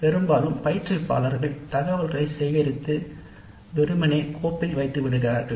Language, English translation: Tamil, Often the instructors collect the data and simply file it